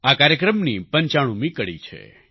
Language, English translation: Gujarati, This programmme is the 95th episode